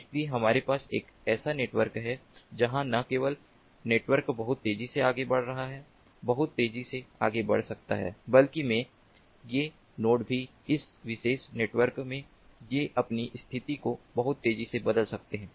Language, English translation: Hindi, so we have a network where not only the network is moving very fast, could be moving very fast, but also these nodes in that particular network